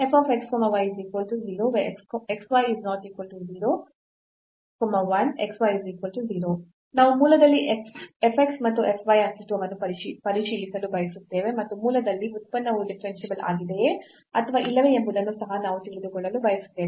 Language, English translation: Kannada, And we want to check the existence of f x and f y at the origin and we also want to know whether the function is differentiable at origin or not